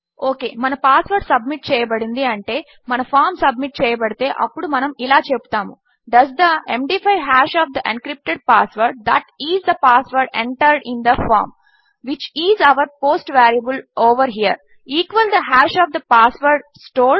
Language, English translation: Telugu, Okay so if our password has been submitted,which means this form has been submitted with this value then we are saying Does the MD5 hash of the encrypted password that is the password entered in the form, which is our post variable over here, equal the hash of the password stored